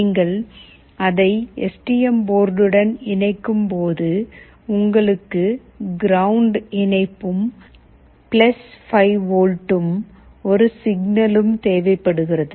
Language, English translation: Tamil, When you connect it to the STM board you require the ground connection, you require +5V and you require a signal